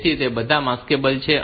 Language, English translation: Gujarati, So, all of them are maskable